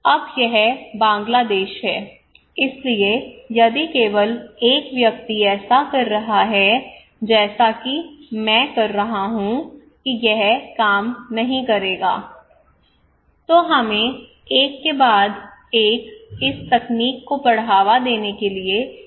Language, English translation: Hindi, Now this is Bangladesh, so if only one person is doing as I am saying it would not work, what we need to do is that we need to promote this technology one after another